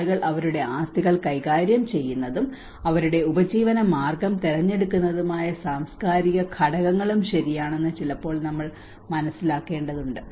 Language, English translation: Malayalam, Sometimes we also have to understand it is also true the cultural factors which people manage their assets and make their livelihood choices to act upon